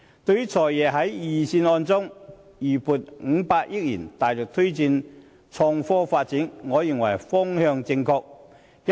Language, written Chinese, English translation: Cantonese, 對於"財爺"在預算案中預留500億元，大力推動創科發展，我認為方向正確。, I consider that the Financial Secretary has moved in the right direction in earmarking 50 billion in the Budget for vigorous promotion of the development of innovation and technology